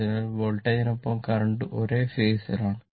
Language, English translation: Malayalam, So, current will be in phase with the voltage